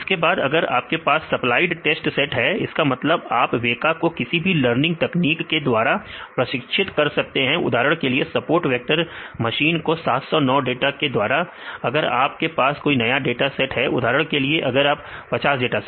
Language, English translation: Hindi, Then if you have the supplied test sets; that means, you can train the weka for with any learning technique; for example, support vector machines with respect to this 709 data and if you have new data set for example, another 50 data